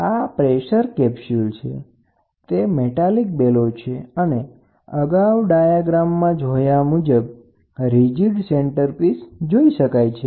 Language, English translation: Gujarati, So, this is a pressure capsule, this is metallic bellow so, you can see here a rigid centerpiece what we saw in the previous diagram we have it here